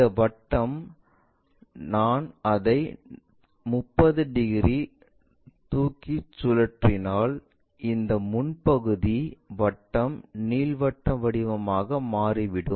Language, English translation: Tamil, This circle, if I am rotating it lifting it by 30 degrees, this frontal portion circle turns out to be something like elliptical kind of shape